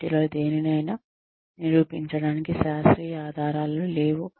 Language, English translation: Telugu, There is no scientific evidence to prove any of this